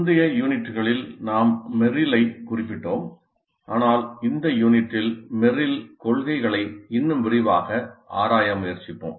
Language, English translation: Tamil, In earlier units we referred to Meryl but in this unit we will try to explore Meryl's principles in greater detail